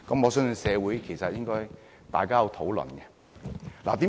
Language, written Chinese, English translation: Cantonese, 我相信社會應該討論。, I believe discussions should be conducted in society